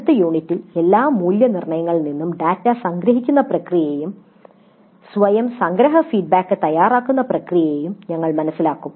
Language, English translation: Malayalam, And in the next unit we will understand the process of summarization of data from all evaluations and the preparation of summary feedback to self